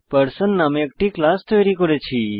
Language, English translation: Bengali, I have already created a class Person